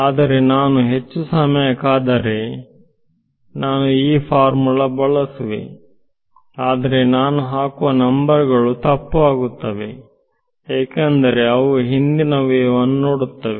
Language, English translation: Kannada, Not if I wait for more time I will use this formula, but the numbers that I put inside will be wrong because there will refer to old wave has already travelled physically